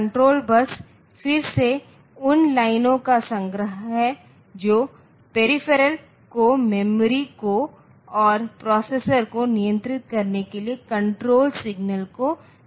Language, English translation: Hindi, And this control bus so control bus is again the collection of lines that sense control signals to the memory and control signals to the processor to the peripheral